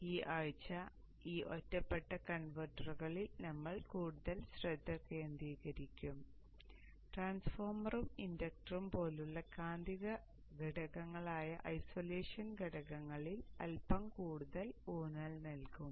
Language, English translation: Malayalam, So this week will focus more on these isolated converters with a bit more emphasis on the isolation components, magnetic components like the transformer and the inductor